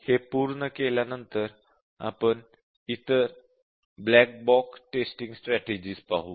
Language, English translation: Marathi, After we complete this we will look at the other black box testing strategies